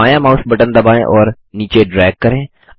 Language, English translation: Hindi, Press the left mouse button and drag down